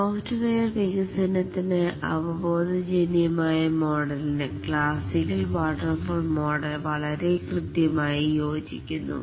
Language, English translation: Malayalam, The classical waterfall model fits very accurately to the intuitive model of software development